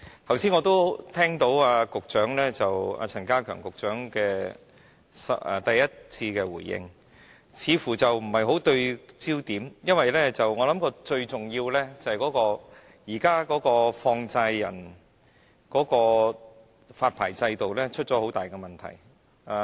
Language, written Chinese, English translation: Cantonese, 剛才我聽到陳家強局長的開場發言，似乎不太對焦，因為最重要是現行的放債人發牌制度出現很大問題。, The opening remarks of Secretary Prof K C CHAN just now sounded to my ear that they did not seem to be focused because the most important issue is that serious problems lie in the existing money lenders licensing system